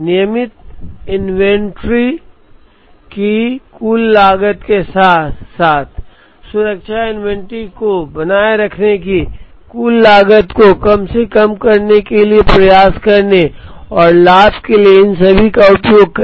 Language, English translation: Hindi, Use all of these to try and benefit from minimizing the total cost of regular inventory as well as the total cost of maintaining the safety inventory